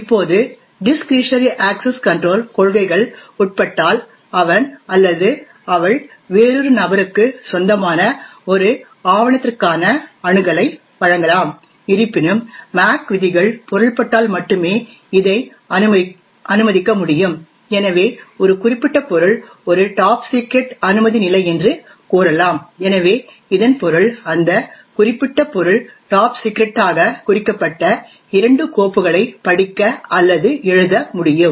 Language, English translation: Tamil, Now with the discretionary access control policies are subject may grant access to a document that he or she owns to another individual, however this can only be permitted provided the MAC rules are meant, so for example say that a particular subject as a top secret clearance level, so this means that, that particular subject can read or write two files which are marked as top secret